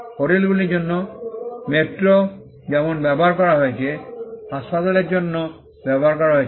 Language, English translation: Bengali, Like metro has been used for hotels, metro has been used for hospitals, metro has been used for selling footwear